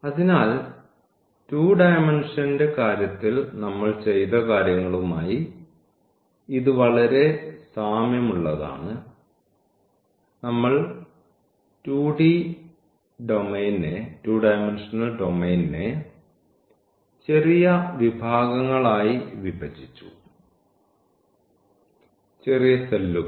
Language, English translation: Malayalam, So, it is very similar to what we have done in case of 2 dimensional; we have divided the domain the 2 dimensional domain into a small sections, small cells